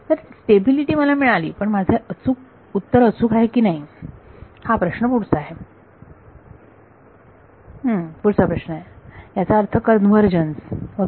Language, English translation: Marathi, So, stability I have got, but is my answer correct that is the next question that is that is meant by convergence ok